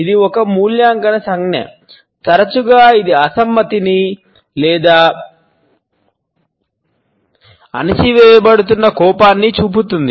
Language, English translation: Telugu, It is an evaluative gesture, often it shows disagreement or an anger which is being suppressed